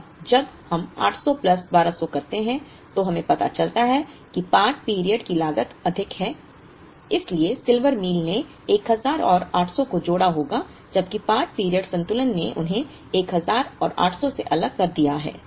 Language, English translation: Hindi, Now, when we do 1000 plus 800 plus 1200 we would realize that the part period cost is higher so, Silver Meal would have combined 1000 and 800 whereas, part period balancing separated them from 1000 and 800